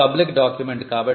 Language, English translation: Telugu, This is a public document